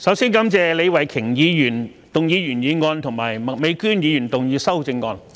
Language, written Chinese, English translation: Cantonese, 主席，首先感謝李慧琼議員動議原議案及麥美娟議員動議修正案。, President first of all I thank Ms Starry LEE for moving the original motion and Ms Alice MAK for proposing the amendment